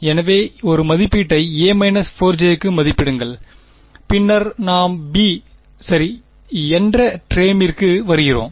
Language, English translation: Tamil, So, term a evaluates to minus 4 j then we come to term b ok